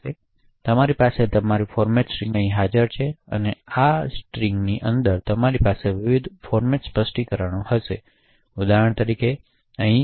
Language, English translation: Gujarati, So, you would have your format string present here and within this format string you would have various format specifiers for example the one specified over here is %d